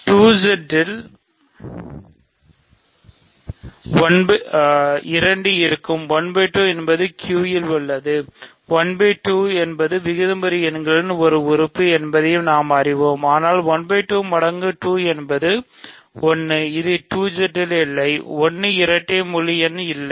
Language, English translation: Tamil, So, also we know that more directly, 2Z contains 2, 1 by 2 is in Q right, 1 by 2 is an element of the rational numbers, but 1 by 2 times 2 which is 1 is not in 2Z right, 1 is not an even integer